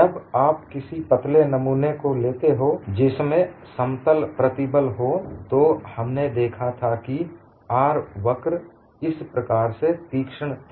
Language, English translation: Hindi, The moment you come for a thin specimen which is in plane stress, we saw that the R curve was very steep like this